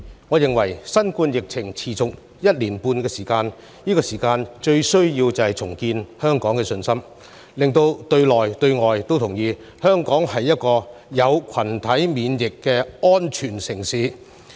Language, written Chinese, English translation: Cantonese, 我認為新冠疫情持續一年半，目前香港最需要的是重建社會信心，讓境內、境外都同意，香港是達到群體免疫水平的安全城市。, Given that the novel coronavirus epidemic has already lasted for one and a half years I think what Hong Kong needs most now is to rebuild public confidence and obtain an acknowledgement from within and outside Hong Kong that we are a safe city which has achieved herd immunity